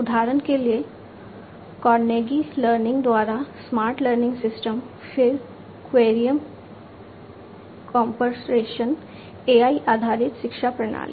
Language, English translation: Hindi, So for example, the smart learning systems by Carnegie Learning, then Querium Corporation AI based education system